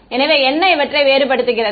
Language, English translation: Tamil, So, what differentiates right